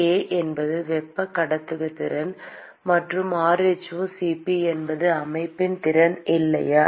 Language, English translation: Tamil, k is the thermal conductivity and rho*Cp is the capacity of the system, right